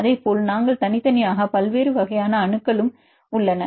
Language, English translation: Tamil, Likewise you have different types of atoms we treat separately